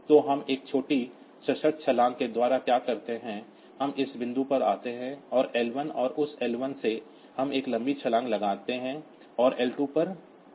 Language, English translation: Hindi, So, what we do so by a small conditional jump we come to this point L 1; and from that L 1, we put a long jump and come to L 2